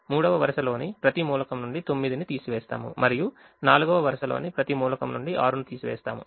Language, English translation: Telugu, we subtract five from every element of the second row, we subtract nine from every element of the third row and we subtract six from every element of the fourth row